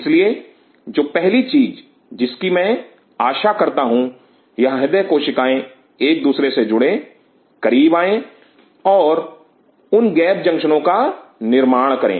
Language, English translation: Hindi, So, the first thing what I anticipate for these cardiac cells to join with each other coming close and form those gap junctions